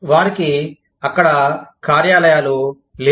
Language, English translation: Telugu, They do not have offices, there